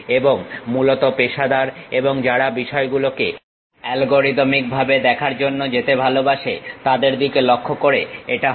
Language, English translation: Bengali, And this is mainly aimed at professionals, and who love to go for algorithmic way of looking at the things